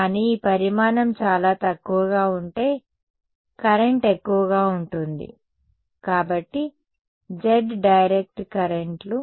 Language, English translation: Telugu, But, if this dimension is very small mostly the current this is going up, so z directed currents